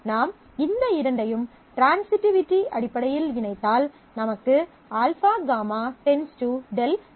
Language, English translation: Tamil, So, if I combine these two in terms of transitivity, I get alpha gamma determining delta